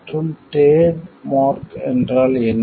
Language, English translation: Tamil, And what is a trademark